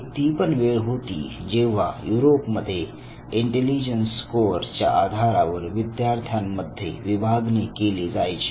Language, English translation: Marathi, There was a time when Europe saw division of students in classroom based on their intelligence score